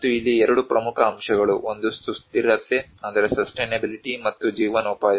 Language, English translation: Kannada, And two major components here, one is the sustainability, and livelihood